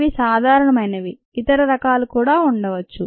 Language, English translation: Telugu, there are many different types